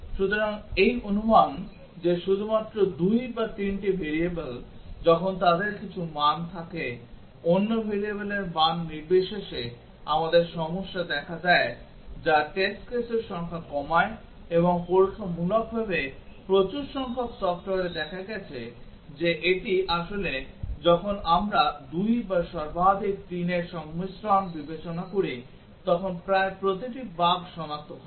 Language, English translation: Bengali, So, the assumption that only 2 or 3 variables when they have some value irrespective of the values of other variables we have the problem appearing that reduces the number of test cases and experimentally over large number of software it has been found that that is really the case that almost every bug gets detected when we consider combinations of 2 or at most 3